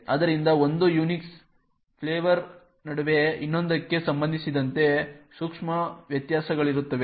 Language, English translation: Kannada, So, there will be subtle variations between one Unix flavour with respect to another